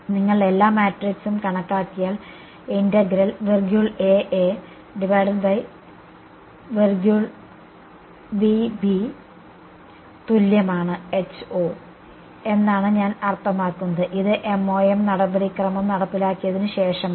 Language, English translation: Malayalam, Once you calculate all the matrix I mean the integral I A I B is equal to h and 0, this is after the MoM procedure has been carried out